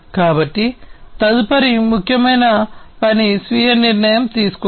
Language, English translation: Telugu, So, the next important function is the self decision making